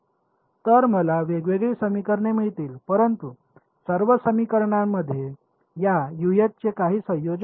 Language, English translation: Marathi, So, I will get different equations, but all equations will have some combination of this Us now